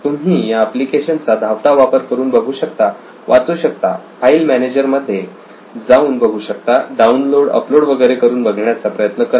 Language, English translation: Marathi, So you can just run through this application, see, read, save, move to file manager, download, upload etc, so just run through it